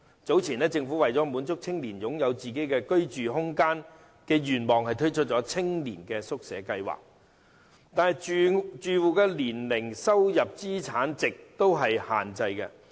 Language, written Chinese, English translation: Cantonese, 早前，政府為了滿足青年人擁有個人居住空間的願望而推出青年宿舍計劃，但住戶的年齡、收入、資產值都有限制。, Earlier on the Government launched the Youth Hostel Scheme YHS to meet the aspirations of young people to have their own living space and restrictions are set on the age income and assets of the tenants